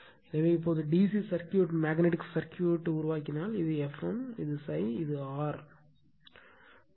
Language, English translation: Tamil, So, now if we make the DC circuit magnetic circuit like this, so this is F m, and this is phi, this is R